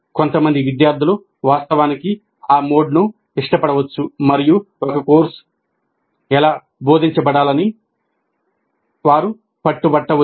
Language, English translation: Telugu, Some of the students may actually like that mode and they may insist that that is how the courses should be taught